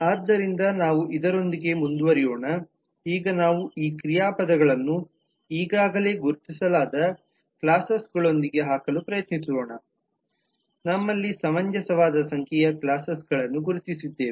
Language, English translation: Kannada, so with this let us move on let us now try to put this verbs with the classes that we already have the classes identified at least we have a reasonable number of classes identified